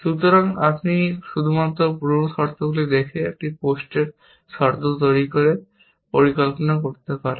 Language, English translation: Bengali, So, you can only construct plans by looking at pre conditions and making post conditions